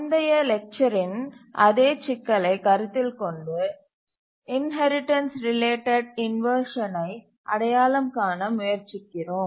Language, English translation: Tamil, This is the same problem that we are considering in the last lecture and now we are trying to identify the inheritance related inversion